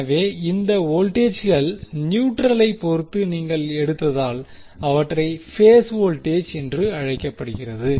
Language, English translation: Tamil, So, now, these voltages are called phase voltages because you have taken them with respect to neutral